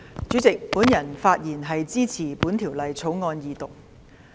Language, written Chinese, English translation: Cantonese, 主席，我發言支持《2019年稅務條例草案》二讀。, President I rise to speak in support of the Second Reading of the Inland Revenue Amendment Bill 2019 the Bill